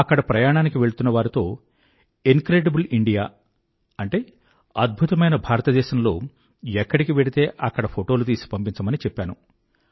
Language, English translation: Telugu, I asked people who were planning to go travelling that whereever they visit 'Incredible India', they must send photographs of those places